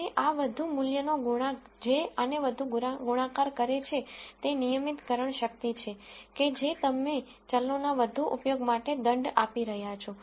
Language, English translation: Gujarati, And larger the value of this coefficient that is multiplying this the more is regularization strength that is you are penalizing for use of variables lot more